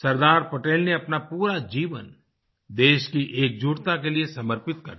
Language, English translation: Hindi, Sardar Patel devoted his entire life for the unity of the country